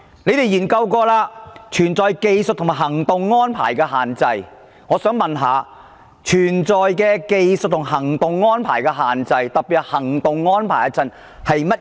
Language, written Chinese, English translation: Cantonese, 我想請問，存在技術及行動安排的限制，特別是行動安排的限制，所指的是甚麼？, What may I ask do the constraints in technical aspects and operational arrangements refer to particularly the constraints in operational arrangements?